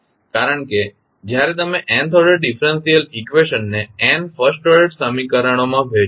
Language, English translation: Gujarati, So, you can convert that nth order differential equation into n first order equations